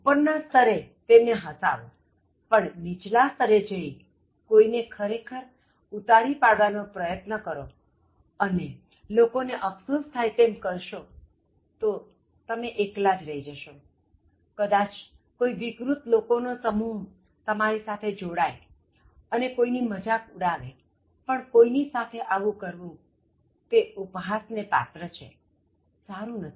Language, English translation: Gujarati, At a higher level make them laugh, but never go to the lower level where you are actually trying to humiliate people and make people regret, you may be the only person laughing or some very other perverted group of people may join you and laugh at somebody, but making somebody this but of ridicule, is not healthy